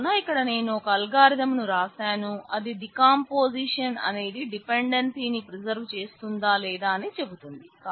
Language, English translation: Telugu, So, here I have written down the algorithm to test if a decomposition actually preserves the dependency or not